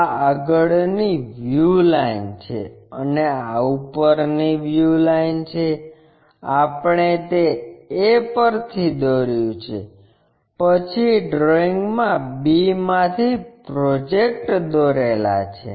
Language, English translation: Gujarati, This is the front view line and this is the top view line, we have drawn that from a then drawing draw a projector from b '